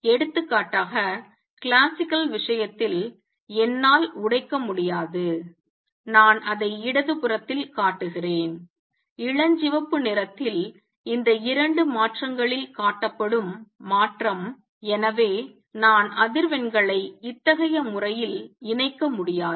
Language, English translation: Tamil, Here I cannot break for example, in the classical case I cannot break I am showing it on the left, the transition shown in pink into these two transitions and therefore, I cannot combine frequency in such a manner